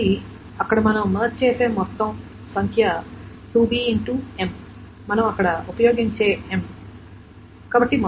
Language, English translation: Telugu, So the total number of merge things there is that 2b times this M, the M that we use there